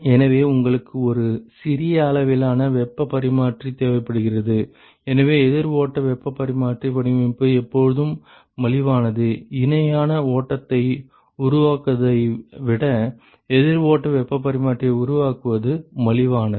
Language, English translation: Tamil, And so, you require a smaller size heat exchanger and therefore, counter flow heat exchanger design is always cheaper, it is cheaper to construct a counter flow heat exchanger than to construct a parallel flow